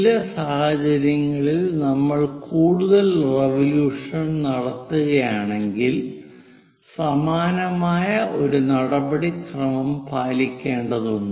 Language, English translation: Malayalam, In certain cases, if we are making many more revolutions, similar procedure has to be followed